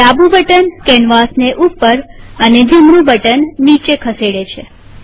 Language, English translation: Gujarati, The left button moves the canvas up and the right button moves it down